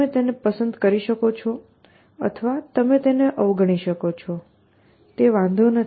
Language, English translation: Gujarati, You can either like it or you can ignore it, it does not matter